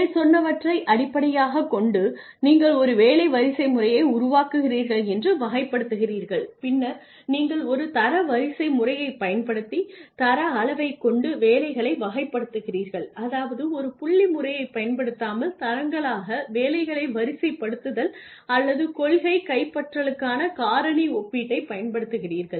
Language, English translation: Tamil, And then you classify you create a job hierarchy based on the above then you classify the jobs by grade levels using either a ranking system which means sorting jobs into grades without using a point system or you use factor comparison, you policy capturing